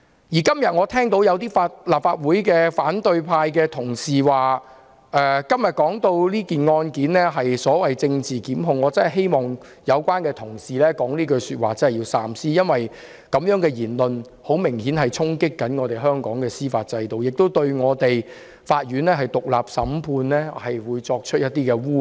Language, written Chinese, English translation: Cantonese, 我今天又聽到有反對派同事說這案件是政治檢控，我真的希望說出這句話的同事要三思，因為這種言論明顯衝擊香港的司法制度，亦污衊了獨立審判案件的法院。, Today I have heard Honourable colleagues of the opposition camp say again that this case is a political prosecution . I really hope Honourable colleagues who have said so will think twice because such a remark obviously speaks ill of the judicial system . It also vilifies the Court which adjudicates on cases independently